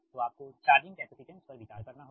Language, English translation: Hindi, so that means not only the capacitance